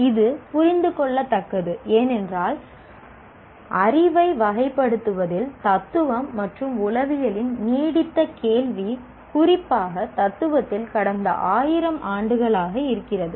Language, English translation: Tamil, And it is understandable because the problem of characterizing knowledge is an enduring question of philosophy and psychology, especially philosophy, for the past several thousand years